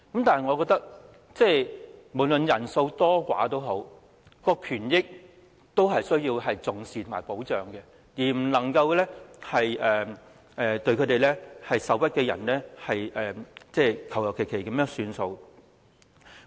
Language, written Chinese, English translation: Cantonese, 但是，我認為不論人數多寡，她們的權益均須受到重視和保障，而對受屈的人，我們不能馬虎了事。, In my opinion however be they small or great in number their rights and interests must be given due regard and protection . We cannot treat the aggrieved perfunctorily